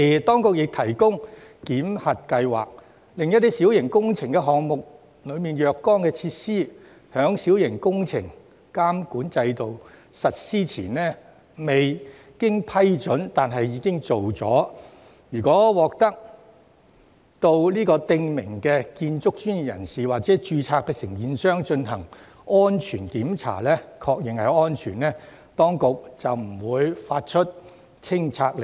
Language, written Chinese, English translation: Cantonese, 當局同時設立檢核計劃，容許在小型工程監管制度實施前未經批准但已完成的若干小型設施予以保留，條件是該等設施須經訂明建築專業人士或註冊承建商進行檢查，確認安全，這樣當局便不會發出拆卸令。, Meanwhile a validation scheme was established for minor features installed without prior approval and before the implementation of MWCS to be retained on the condition that they were confirmed safe after inspection by prescribed building professionals or registered contractors . No demolition order would be issued in this case